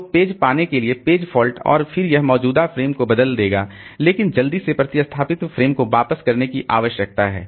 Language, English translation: Hindi, So, page fault to get page and then it will replace existing frame but quickly need the replaced frame back